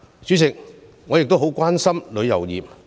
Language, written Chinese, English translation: Cantonese, 主席，我亦很關心旅遊業。, President I am also very concerned about the tourism industry